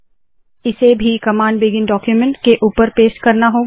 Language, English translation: Hindi, This also has to be pasted above the begin document command